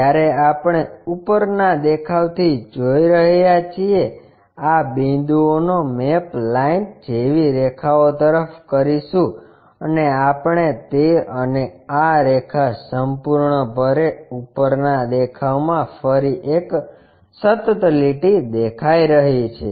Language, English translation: Gujarati, When we are looking from top view these points maps to lines like edges and we will see that and this line entirely from the top view again a continuous line